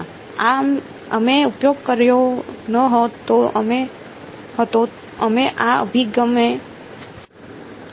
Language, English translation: Gujarati, No we did not use we did not follow this approach